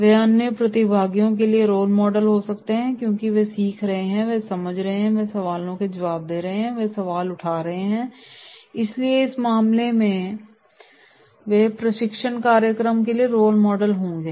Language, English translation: Hindi, They can be role models for the other participants because they are learning, they are understanding, they are answering questions, they are raising questions so therefore in that case they will be role models for this training program